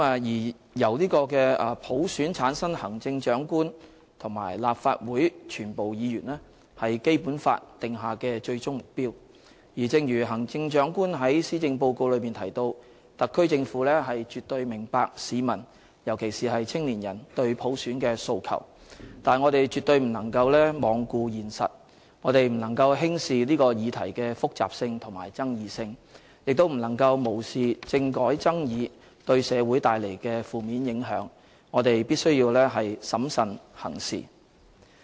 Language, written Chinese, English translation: Cantonese, 由普選產生行政長官和立法會全部議員，是《基本法》訂下的最終目標，正如行政長官在施政報告中提到："特區政府絕對明白市民，尤其是青年人，對普選的訴求"，但我們絕對不能罔顧現實、不能輕視這個議題的複雜性和爭議性，亦不能無視政改爭議對社會帶來的負面影響，我們必須審慎行事。, Selection of the Chief Executive and all Members of the Legislative Council by universal suffrage is the ultimate goal provided under the Basic Law and as stated by the Chief Executive in the Policy Address the SAR Government fully understand[s] the aspirations of the community in particular our young generation for universal suffrage . However we cannot ignore the reality and take the complexity and controversy of the issue lightly and neither can we turn a blind eye to the negative implications brought about by the political reform controversy on our society . We need to act prudently